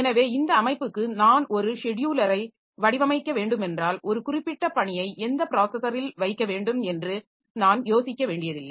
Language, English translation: Tamil, So, if I have to design a scheduler for this system, so I don't have to think like which processor a particular task be put into